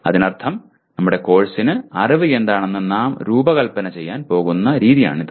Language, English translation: Malayalam, That means for our course, this is the way we are going to design what is knowledge